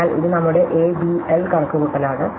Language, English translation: Malayalam, So, this is our A B L calculation